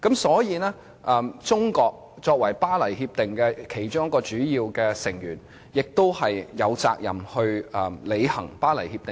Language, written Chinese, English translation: Cantonese, 所以，中國作為《協定》的其中一名主要成員，亦有責任履行《協定》。, China being one of the major member states signing the Agreement is therefore obliged to honour the Agreement